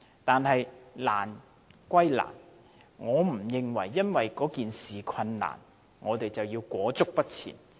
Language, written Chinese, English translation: Cantonese, 但是，難歸難，不能因為問題困難，我們便裹足不前。, Difficult though it is we cannot halt our progress because of the predicament presented before us